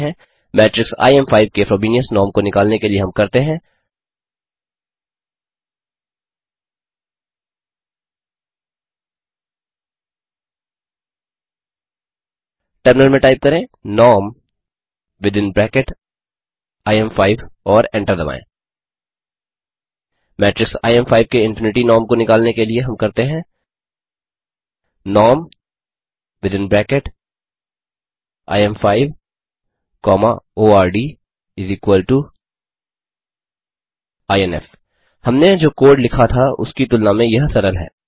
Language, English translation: Hindi, In order to find out the Frobenius norm of the matrix im5, we do, In the terminal type norm within bracket im5 and hit enter And to find out the Infinity norm of the matrix im5, we do, norm within bracket im5,ord=inf This is easier when compared to the code we wrote